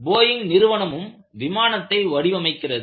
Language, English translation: Tamil, Boeingwere also designing their planes